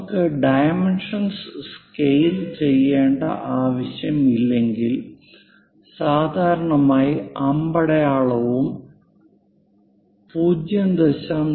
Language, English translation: Malayalam, Whenever there are not to scale dimensions, usually, we represent it by that arrow a line indicating 0